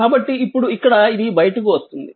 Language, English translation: Telugu, So, here now this is this is come out right